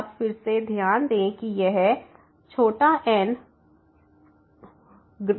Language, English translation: Hindi, So, again you note that this was bigger than